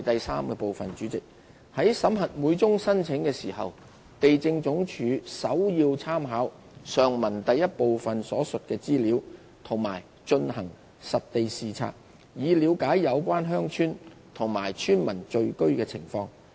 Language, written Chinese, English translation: Cantonese, 三在審核每宗申請時，地政總署首要參考上文第一部分所述的資料及進行實地視察，以了解有關鄉村及村民聚居的情況。, 3 LandsD examines each application primarily by making reference to information mentioned in part 1 above and by conducting site inspections with a view to looking into the situation of the villages concerned and the signs of habitation by the villagers concerned